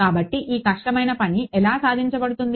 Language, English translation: Telugu, So, how is this great feat achieved